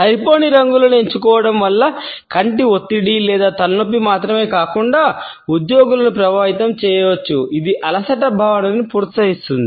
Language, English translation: Telugu, Choosing inadequate colors may impact employees by causing not only eye strain or headache, but also it can encourage a sense of fatigue